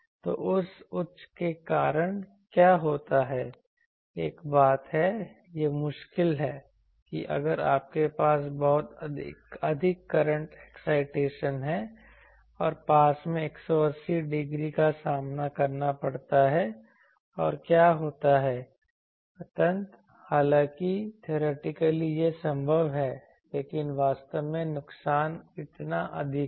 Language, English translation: Hindi, So, what happens due to that high, one thing is it is very difficult that if you have a very high current excitation and nearby to have a 180 degree face opposite and what happens, ultimately, there though theoretically it is possible but actually the loss is so high